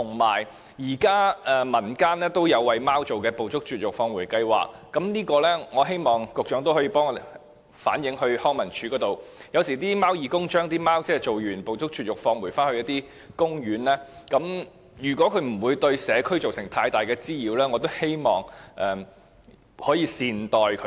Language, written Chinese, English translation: Cantonese, 現時民間也有為貓而設的"捕捉、絕育、放回"計劃，我希望局長可以替我們向康樂及文化事務署反映，有時候貓義工為貓隻進行絕育後，會把牠們放回公園，如果牠們不是對社區造成太大滋擾的話，我希望大家可以善待牠們。, At present the community has also implemented a Trap - Neuter - Return programme for cats so I hope the Secretary will relay to the Leisure and Cultural Services Department that sometimes volunteers may return the neutered cats to the parks . If cats have not caused too much nuisance to the community I hope that people will treat them well